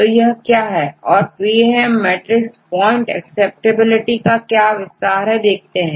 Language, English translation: Hindi, So, what is essentially a PAM matrix what is an expansion for PAM matrix point acceptability matrix